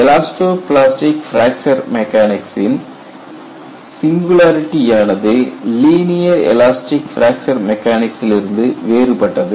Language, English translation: Tamil, So, the kind of singularity in the case of elasto plastic fracture mechanics is different from linear elastic fracture mechanics